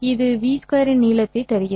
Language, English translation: Tamil, w will give me the length of v along w